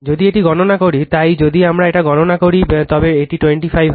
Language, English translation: Bengali, If you calculate it right, so just if we calculate it, it will be 25